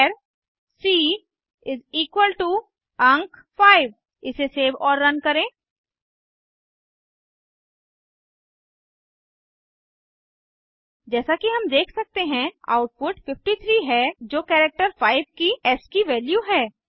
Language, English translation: Hindi, char c = digit 5 Save it and run it As we can see, the output is 53 which is the ascii value of the character 5 It is not the number 5